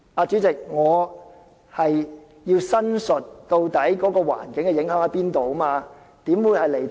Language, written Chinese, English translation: Cantonese, 主席，我要申述它對環境造成的影響，怎會是離題呢？, President I am expounding on its environmental impact and this cannot be a digression from the question right?